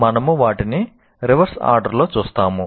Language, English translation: Telugu, So we'll look at them in the reverse order